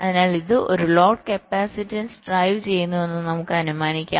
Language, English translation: Malayalam, so we can equivalently assume that it is driving a load capacitance